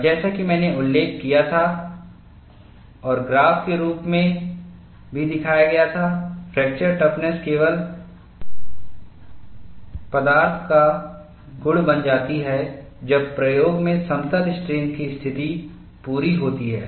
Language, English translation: Hindi, And, as I had mentioned and also shown in the form of graph, fracture toughness becomes a material property only when plane strain conditions are met in the experiment